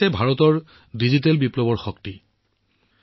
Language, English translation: Assamese, This is the power of India's digital revolution